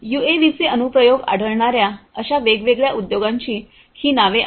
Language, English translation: Marathi, These are some of the names of different industries where UAVs find applications